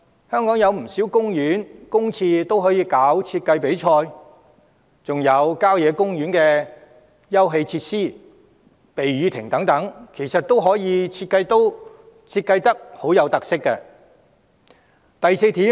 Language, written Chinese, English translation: Cantonese, 香港有不少公園、公廁，政府均可舉辦設計比賽，還有郊野公園的休憩設施、避雨亭等，其實都可成為富有特色的設計項目。, There are many parks and public toilets in Hong Kong which can also be designed through competitions held by the Government . In addition the leisure facilities rain shelters etc . of country parks can in fact be turned into design projects with special characteristics